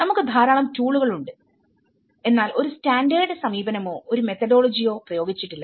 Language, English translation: Malayalam, We have so many tools but there is no standard approach or a methodology applied